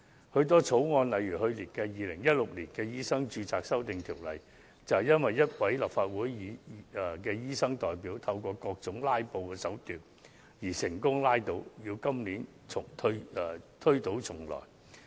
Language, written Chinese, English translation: Cantonese, 許多法案，例如去年的《2016年醫生註冊條例草案》，便因一位立法會的醫生代表藉各種"拉布"手段而成功被拉倒，須於今年推倒重來。, A number of bills such as the Medical Registration Amendment Bill 2016 of which passage was aborted due to the various filibuster tricks employed by a Legislative Council Member representing doctors have to be tabled afresh this year